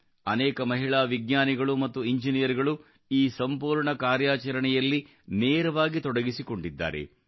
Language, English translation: Kannada, Many women scientists and engineers have been directly involved in this entire mission